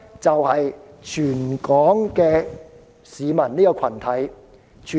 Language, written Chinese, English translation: Cantonese, 就是全港市民這個群體。, It refers to the community of all the people of Hong Kong